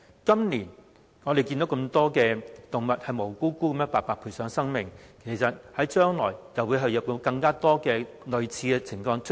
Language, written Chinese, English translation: Cantonese, 今年我們看到這麼多無辜動物白白賠上生命，將來會否有更多類似情況出現？, So many innocent animals lose their lives this year and will more similar incidents happen in future?